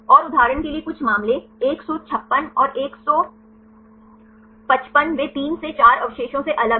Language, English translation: Hindi, And some cases for example, 156 and 155 they are 3 to 4 residues far apart